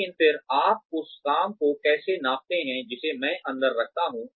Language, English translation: Hindi, But then, how do you measure the work, that I put in